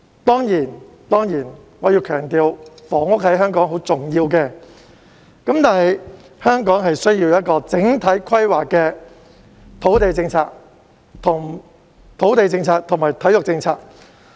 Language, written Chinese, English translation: Cantonese, 當然，我要強調，房屋在香港很重要，香港需要整體規劃的土地政策及體育政策。, Of course I must emphasize that housing is very important in Hong Kong and Hong Kong needs a comprehensive planning on its land policy and sports policy